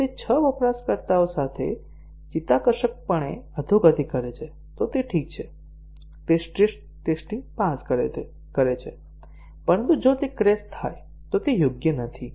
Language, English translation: Gujarati, If it gracefully degrades with 6 users then it is ok, it passes the stress test; but if it crashes then it is not correct